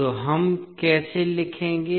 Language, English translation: Hindi, So, how we will write